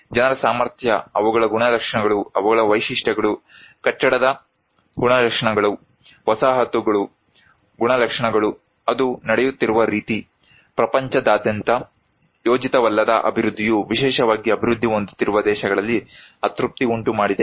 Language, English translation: Kannada, People's capacity, their characteristics, their features, the building characteristics, settlement characteristics, the way it is happening, the unhappiness that unplanned development across the globe particularly in developing countries